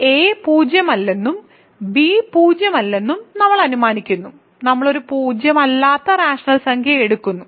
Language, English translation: Malayalam, And we assume that a is non zero and b is non zero, we take a non zero rational number